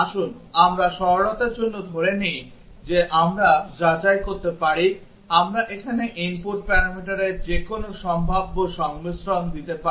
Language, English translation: Bengali, Let us for simplicity assume that we can check, we can give any possible combinations of the input parameters here